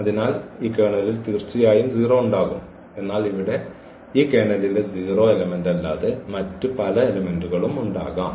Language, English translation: Malayalam, So, definitely the 0 will be there in this kernel, but there can be many other elements than the 0 elements in this kernel here